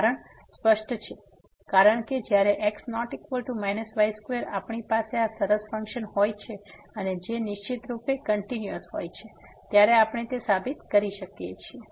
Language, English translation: Gujarati, The reason is clear, because when is not equal to we have this nice function and which is certainly continuous we can prove that